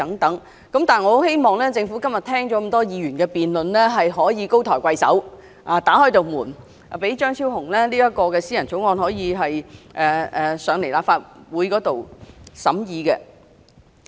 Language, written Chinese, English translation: Cantonese, 但是，我希望政府今天聽畢議員的辯論後高抬貴手，打開一道門，讓張超雄議員這項私人條例草案提交立法會審議。, However I hope that after listening to this debate today the Government can magnanimously open a door for Dr Fernando CHEUNG so that his private bill can be submitted to the Legislative Council for scrutiny